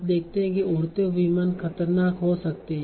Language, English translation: Hindi, Flying planes can be dangerous